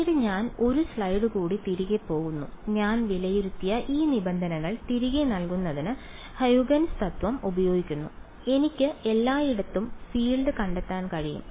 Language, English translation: Malayalam, Then I go back even 1 more slide I use Huygens principle to put back these terms which I have evaluated and I can find the field everywhere